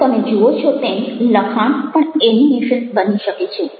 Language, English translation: Gujarati, by combining this now you see that text can also become animations